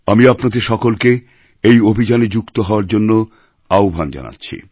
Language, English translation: Bengali, I urge you to the utmost, let's join this initiative